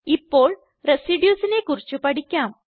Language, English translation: Malayalam, Now, lets learn about Residues